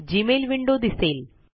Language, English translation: Marathi, The Gmail window appears